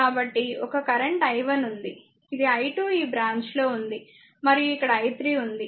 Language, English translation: Telugu, So, one current is i 1 is there , this is i 2 is there in this branch , right and I i 3 is there right